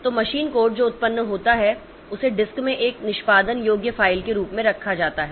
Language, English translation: Hindi, So, machine code that is generated is kept as a executable file in the disk